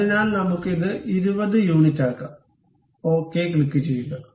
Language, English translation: Malayalam, So, let us make it 20 units, click ok